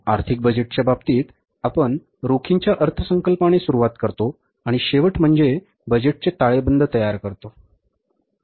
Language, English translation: Marathi, In case of the financial budget, we start with the cash budget and the end result is preparing the budgeted balance sheet